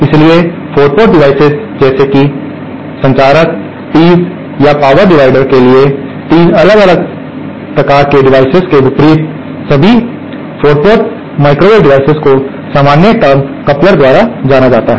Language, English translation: Hindi, So, unlike 3 different types of devices for 3 port devices like circulators, or tees or power dividers, all 4 port microwave devices are known by the general term couplers